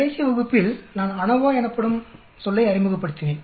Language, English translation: Tamil, Last class I introduced the terminology called ANOVA